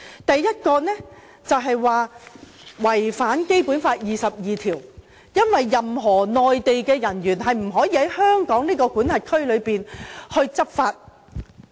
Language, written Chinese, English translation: Cantonese, 第一，就是指"一地兩檢"違反了《基本法》第二十二條，因為任何內地人員也不可以在香港管轄區執法。, First they claim that the co - location arrangement violates Article 22 of the Basic Law because no Mainland officers should be allowed to take enforcement actions in areas under Hong Kong jurisdiction